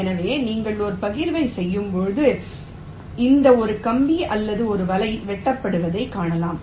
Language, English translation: Tamil, so when you do a partition, you see that this one wire or one net was cutting